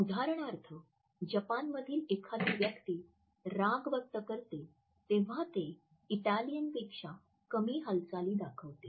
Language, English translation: Marathi, For example, a person from Japan who is expressing anger show significantly fewer effective display movements then is Italian counterpart